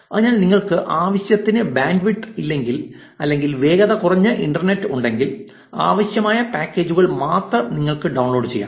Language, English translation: Malayalam, So, if you do not have enough bandwidth or have slow internet, you can just download the packages that are required